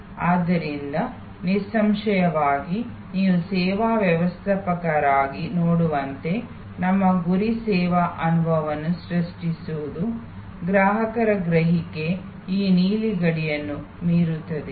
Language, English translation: Kannada, So; obviously, as you can see as a services manager our aim should be to create a service experience, were customers perception will go beyond this blue boundary